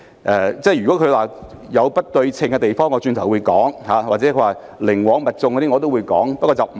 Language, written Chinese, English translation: Cantonese, 議員認為有不對稱的地方或寧枉勿縱，我稍後會再作討論。, For the Members view that something is disproportionate or we would rather be wronging them than winking at them I will discuss that later